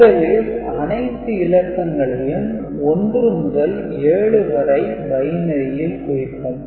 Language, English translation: Tamil, Each of this position 1 to 7 we are coding in binary, right